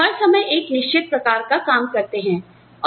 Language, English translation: Hindi, So, you do a certain kind of work, all the time